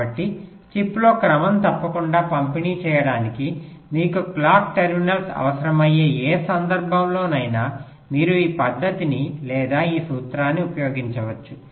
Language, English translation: Telugu, so, in any scenario where you need the clock terminals to be distributed regularly across the chip, you can use this method or this principle